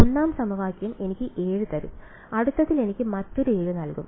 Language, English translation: Malayalam, The 1st equation will give me 7 in the next will also give me another 7